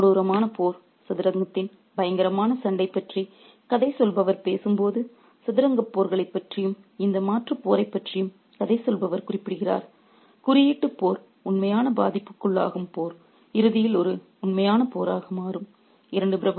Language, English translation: Tamil, While the narrator did talk about the terrible combat of chess, the terrible fight of chess, while the narrator did make references to chess battles, this alternative battle, the symbolic battle thus become a real battle at the end